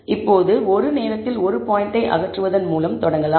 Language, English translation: Tamil, Now, I will start by removing one point at a time